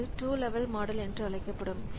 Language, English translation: Tamil, So, they use this 2 level model